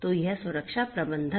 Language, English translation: Hindi, So, this is security management